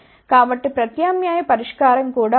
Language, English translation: Telugu, So, there is an alternate solution also